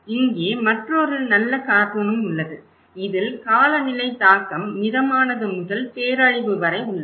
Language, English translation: Tamil, Here, is another good cartoon also, like climate impact range from moderate to catastrophic